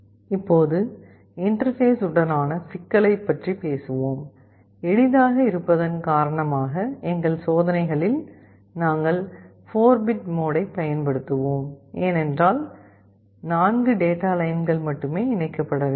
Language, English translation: Tamil, Now talking about the interfacing issue; in our experiments because of simplicity, we shall be using the 4 bit mode, because only 4 data lines have to be connected